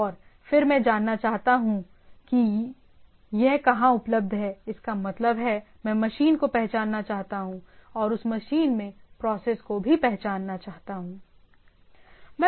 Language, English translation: Hindi, And then I want to know that where it is available; that means, I want to identify the machine and also identify the process in that machine, right